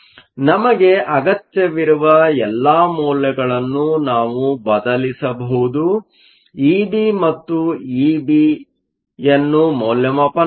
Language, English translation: Kannada, So, we have all the values that we need we can substitute that and evaluate E b and E b